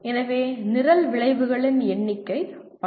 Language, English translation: Tamil, There the number of program outcomes are 12